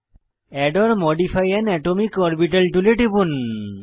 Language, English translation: Bengali, Click on Add or modify an atomic orbital tool